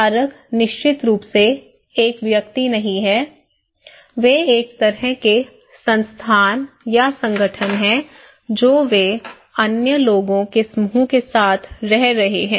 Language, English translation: Hindi, The perceiver is not an individual of course, they are a kind of institutions or kind of organizations they are living with other group of people